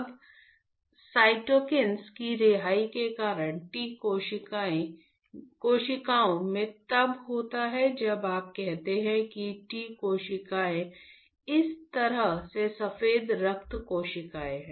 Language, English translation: Hindi, Now, because of the release of cytokines so, in T cells consists of when you say T cells is a white blood cells in a way